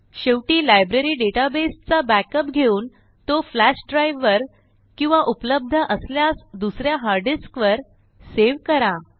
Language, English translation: Marathi, Finally, take a backup of the Library database, save it in a flash drive or another hard disk drive, if available